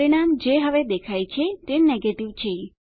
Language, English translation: Gujarati, The result which is displayed now is Negative